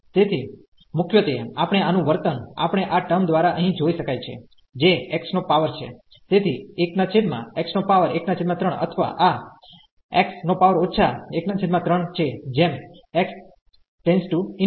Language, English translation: Gujarati, So, mainly the behaviour of this we can see by this term here which is a x power, so 1 over x power 1 by 3 or this is x power minus 1 by 3 as x approaches to infinity